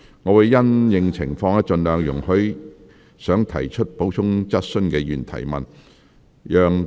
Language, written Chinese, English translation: Cantonese, 我會因應情況，盡量容許想提出補充質詢的議員提問。, Having regard to the situation I will as far as possible allow Members to ask supplementary questions if they so wish